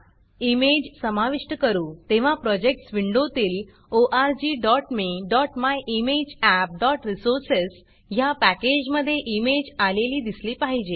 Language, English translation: Marathi, In the Projects window, you should see the image appear within the org.me.myimageapp.resources package, when you add the image